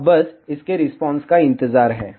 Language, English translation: Hindi, Now, just wait for its response